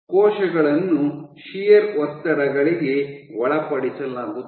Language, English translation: Kannada, The cells are subjected to shear stresses